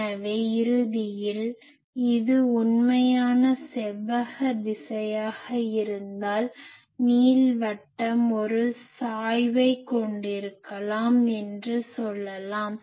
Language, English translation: Tamil, , So, ultimately we can say that if this is our actual rectangular direction, but the ellipse maybe having a tilt